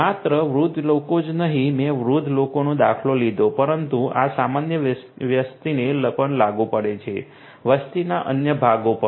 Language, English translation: Gujarati, Not only elderly people, I took the example of elderly people, but this also applies for the other population as well; other parts of the population as well